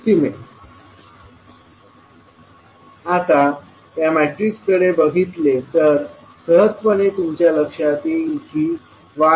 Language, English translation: Marathi, Now, if you see this particular matrix you can easily say y 12 is equal to y 21